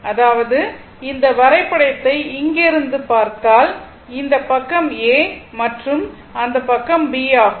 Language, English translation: Tamil, Suppose, this is your what you call this side is A and this side is B